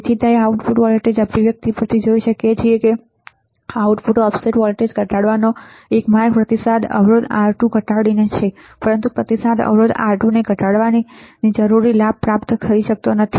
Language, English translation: Gujarati, So, it can be seen from the output voltage expression that a way to decrease the output offset voltage is by minimizing the feedback resistor R2, but decreasing the feedback resistor R2 required gain cannot be achieved right